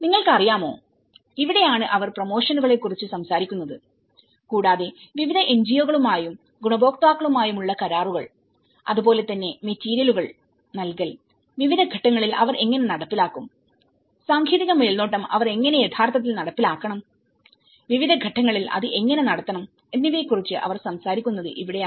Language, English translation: Malayalam, And this is where they talk about the promotions you know, agreements with various NGOs and beneficiaries and as well as the provision of materials as well as how they have to really implement at different stages and technical supervision, how it has to conduct at different stages